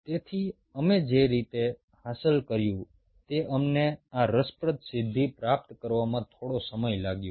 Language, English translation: Gujarati, so the way we achieved it took us a while to achieve this interesting feat, but we eventually did achieve it